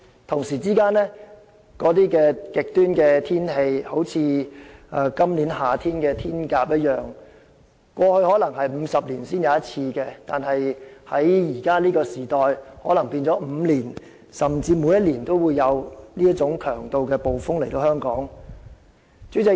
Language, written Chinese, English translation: Cantonese, 同時，極端天氣亦變得較常見，正如今年夏天的颱風"天鴿"，過去可能是50年一遇的暴風，但在現今世代，可能每5年甚至每年均有這種強度的暴風襲港。, At the same time the frequency of extreme weather has also increased and typhoon Hato which affected Hong Kong this summer is an example . We might experience a super typhoon like this once in 50 years in the past but nowadays Hong Kong may be affected by a typhoon of such an intensity once in five years and even every year